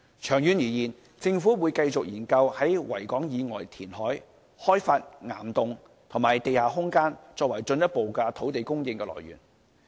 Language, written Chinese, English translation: Cantonese, 長遠而言，政府會繼續研究在維港以外填海、開發岩洞及地下空間，作為進一步的土地供應的來源。, In the long run the Government will continue studying the feasibility of reclamation outside the Victoria Harbour and the development of rock cavern and underground space as further sources of land supply